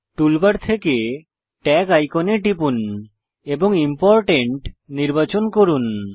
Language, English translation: Bengali, From the toolbar, click the Tag icon and click Important again